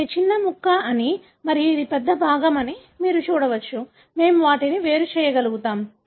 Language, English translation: Telugu, You can see that this is a smaller fragment and this is a larger fragment, we are able to separate them